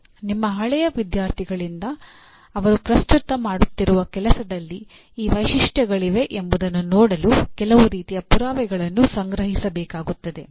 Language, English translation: Kannada, Some kind of proof will have to be collected from your alumni to see that at least they are whatever they are presently working on has these features in it